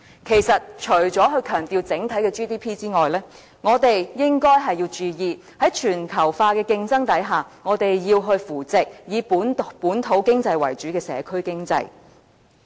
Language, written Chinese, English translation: Cantonese, 其實，除了強調整體 GDP 外，我們亦應該要注意，在全球化的競爭下，我們要扶植以本土經濟為主的社區經濟。, Actually apart from emphasizing our GDP at the macro level we must also note that we should support the local community economy in the midst of all the global competition